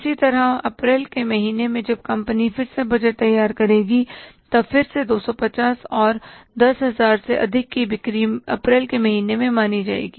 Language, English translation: Hindi, Similarly, in the month of April, again when the company will prepare the budget, then again the 250 plus the 10% of the sales over and above the 10,000 will be considered in the month of April